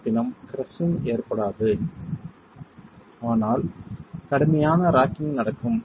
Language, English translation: Tamil, However, crushing will not occur but rigid rocking will occur